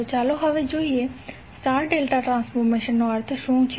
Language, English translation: Gujarati, So now let us see, what do you mean by star delta transformer, transformation